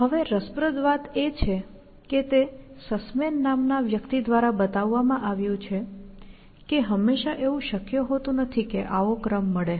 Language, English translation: Gujarati, Now, interestingly, it was shown by a guy, called Sussman, that it is not always possible that such an order may be found